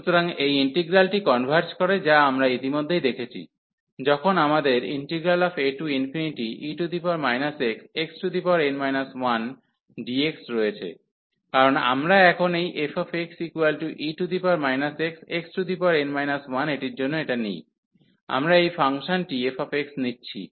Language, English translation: Bengali, So, this integral converges which we have already seen before, when we have a to infinity, because we take this now for this one f x e power minus x x power n, we take this function f x